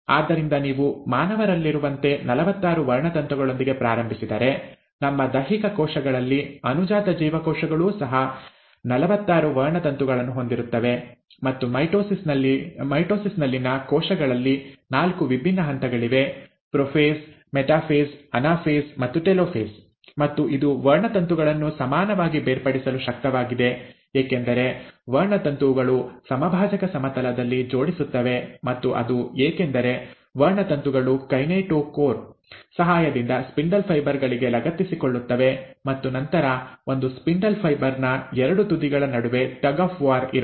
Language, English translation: Kannada, So if you start with forty six chromosomes as in case of human beings, and in our somatic cells, the daughter cells will also have forty six chromosomes, and, the cells in mitosis, there are four different stages; prophase, metaphase, anaphase and telophase, and the reason it is able to segregate the chromosomes equally is because the chromosomes align at the equatorial plane and that is because the chromosomes can attach to the spindle fibres with the help of kinetochore and then there is a tug of war between the two ends of the spindle fibre